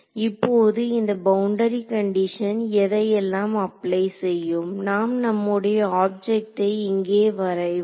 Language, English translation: Tamil, Now this boundary condition applies to what all does it apply to let us draw our object over here ok